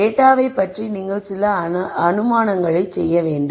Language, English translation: Tamil, You have to make some assumptions about the data